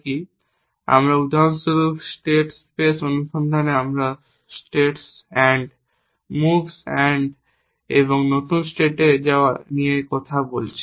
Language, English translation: Bengali, So, for example, in state space search we talked about states end, moves end and going to new states and so on